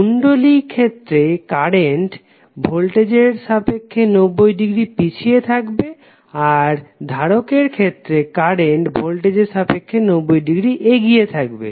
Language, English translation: Bengali, In case of inductor current will be lagging with respect to voltage by 90 degree, while in case of capacitor current would be leading by 90 degree with respect to voltage